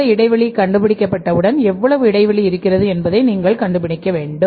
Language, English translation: Tamil, So you have to build up this gap you have to find out that how much gap is there